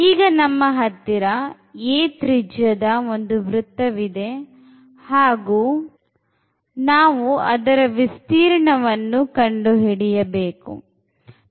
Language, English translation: Kannada, So, we have a circle of radius a, and we want to compute the area